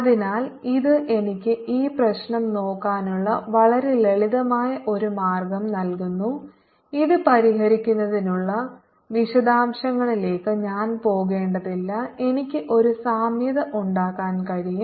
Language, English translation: Malayalam, so this gives me a very simple way of looking at this problem and i don't have to go into the details of solving this